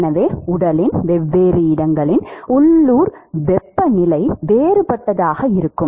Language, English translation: Tamil, So, the local temperature of different location of the body will be different